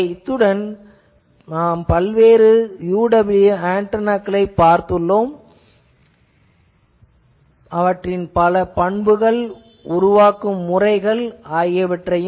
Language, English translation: Tamil, So, with this we have seen that various UWB antennas, there are various characteristic how to make that